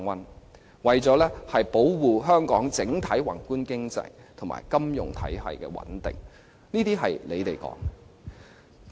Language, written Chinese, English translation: Cantonese, 政府說這是為了保護香港整體宏觀經濟及金融體系的穩定。, The Government said that the purpose was to protect the stability of Hong Kongs overall macroeconomic and financial system